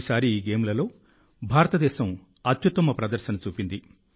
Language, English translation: Telugu, India displayed her best ever performance in these games this time